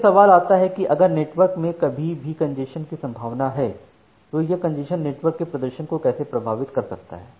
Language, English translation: Hindi, Now, the question comes that if there is still a possibility of congestion in the network how this congestion impact the network performance